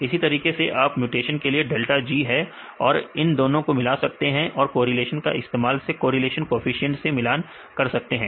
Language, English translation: Hindi, Likewise you have delta G for the mutation value right then you can combine these 2, relate using correlations right correlation coefficient